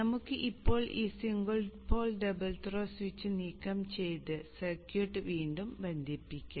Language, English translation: Malayalam, So let us now remove this single pole double through switch and reconnect the circuit